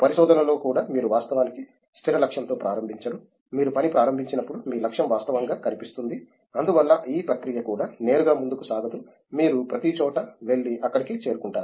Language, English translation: Telugu, Even in research you don’t actually start with the fixed goal, your goal actually shows up as you start working hence the process is also not straight forward, you kind of go everywhere and then reach there